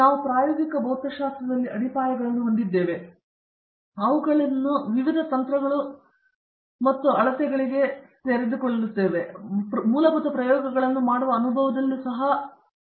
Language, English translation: Kannada, And, we also have foundations in experimental physics which exposes them to a range of techniques and measurements; they also get some hands on experience doing some basic experiments